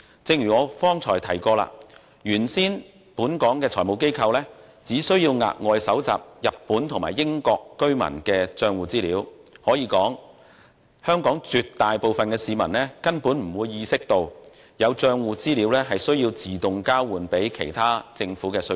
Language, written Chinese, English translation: Cantonese, 正如我剛才提及，本港的財務機構原先只須額外收集日本和英國居民的帳戶資料；可以說，香港絕大部分市民，根本沒有意識到有帳戶資料會自動交予其他政府的稅局。, As I mentioned just now currently Hong Kong FIs are only required to additionally collect information on accounts held by residents of Japan and the United Kingdom; one may say that the vast majority of Hong Kong people are completely unaware of the automatic exchange of account information with the tax authorities of other governments